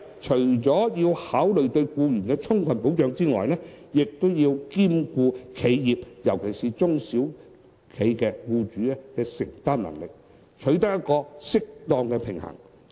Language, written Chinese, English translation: Cantonese, 除了要考慮對僱員提供充分保障外，亦要兼顧企業尤其是中小企僱主的承擔能力，取得一個適當的平衡。, In order to strike an appropriate balance we should consider not only the need to provide adequate protection for employees but also the affordability of enterprises particularly the owners of small and medium enterprises